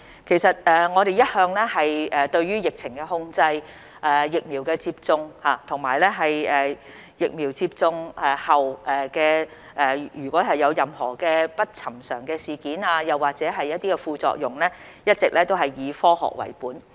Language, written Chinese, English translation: Cantonese, 其實我們對於疫情控制、疫苗接種，以及接種疫苗後如有任何不尋常事件或副作用，一直都是以科學為本。, Regarding the control of the epidemic vaccination and any unusual incident or side effect following the administration of the vaccines we have all along adopted a science - based approach